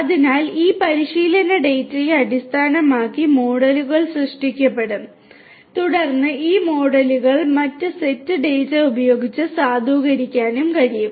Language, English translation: Malayalam, So, models will be created based on this training data and then these models could be also validated using other sets of data